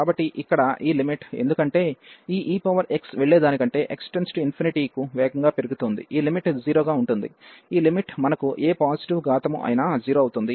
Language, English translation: Telugu, So, this limit here, because this e power x will go will grow faster to x to infinity than this one, so this limit is going to be 0, this limit is going to be 0 whatever positive power we have